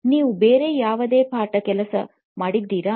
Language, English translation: Kannada, Have you done any other homework